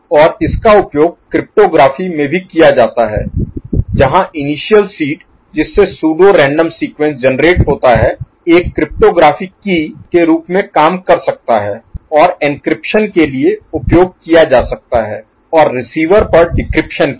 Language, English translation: Hindi, And it is used in cryptography also where the initial seed from which the pseudo random sequence is generated can serve as a cryptographic key and can be used for encryption first and at the receiver side for decryption